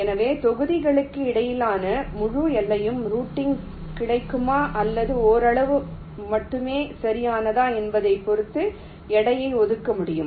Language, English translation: Tamil, so weights can be assigned accordingly, depending on whether the whole boundary between the blocks are available for routing or it is only partially available, right